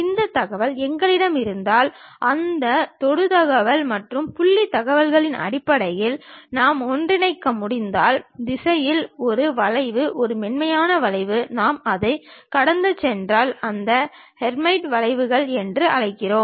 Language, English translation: Tamil, If we have this information, a curve in the direction if we can interpolate based on those tangent information's and point information, a smooth curve if we are passing through that we call that as Hermite curves